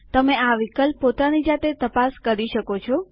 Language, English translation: Gujarati, You can explore this option on your own later